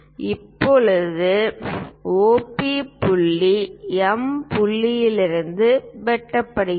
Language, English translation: Tamil, Now, OP line intersected it point M here, this is the one